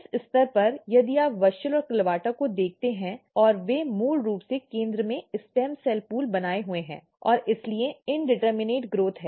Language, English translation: Hindi, At this stage if you look WUSCHEL and CLAVATA and they are basically maintaining stem cell pool in the center and that is why there is a indeterminate growth